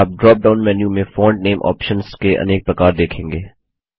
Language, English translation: Hindi, You see a wide variety of font name options in the drop down menu